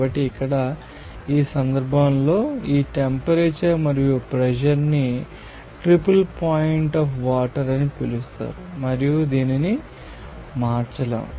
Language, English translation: Telugu, So, here, in this case, this temperature and pressure will be called as triple point of water and this cannot be changed